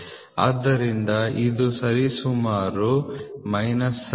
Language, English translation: Kannada, So, this is nothing but minus 79